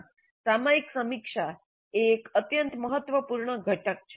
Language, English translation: Gujarati, Thus, the periodic review is an extremely important component